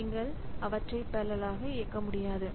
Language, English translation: Tamil, So, I cannot do them in parallel